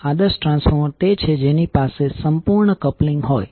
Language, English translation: Gujarati, The ideal transformer is the one which has perfect coupling